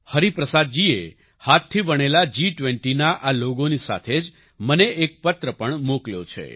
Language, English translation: Gujarati, Hariprasad ji has also sent me a letter along with this handwoven G20 logo